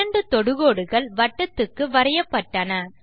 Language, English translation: Tamil, Two Tangents are drawn to the circle